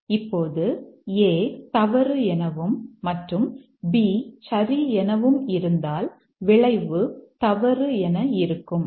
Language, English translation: Tamil, Now if A is false and the B is remaining true, the outcome is false